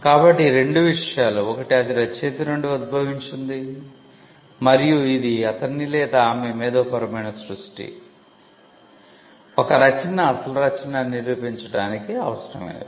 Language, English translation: Telugu, So, these two things, one it originated from the author and it is his or her intellectual creation is all that is required to show that a work is an original work